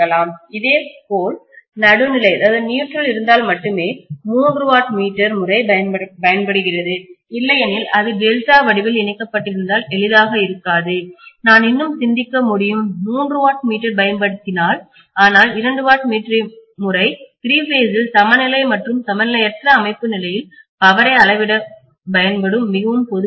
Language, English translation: Tamil, Similarly, three watt meter method which will also be used only if the neutral is available, otherwise it’s not going to be easy if it is delta connected we can still think of using this probably, three watt meter but two watt meter method is a very very common method which is used for using, used for measuring power in a three phases balanced as well as unbalanced system